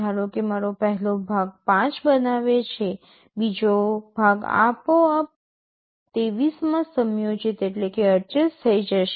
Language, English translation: Gujarati, Suppose the first part I make 5 the second part will automatically get adjusted to 23